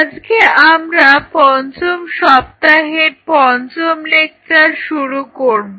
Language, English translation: Bengali, So, today we will be doing the fifth lecture of the fifth week